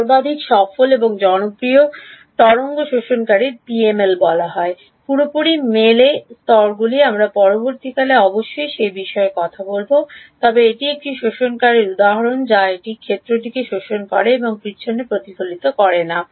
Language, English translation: Bengali, The most successful and popular wave absorbers are called PML; Perfectly Matched Layers we will talk about that subsequently in the course ok, but is an example of an absorber it absorbs the field and does not reflect back